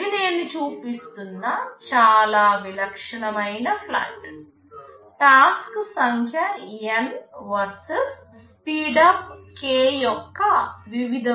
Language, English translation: Telugu, This is a very typical plot I am showing, number of task N versus speedup for various values of k